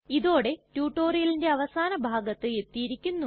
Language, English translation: Malayalam, This brings me to the end of this tutorial at last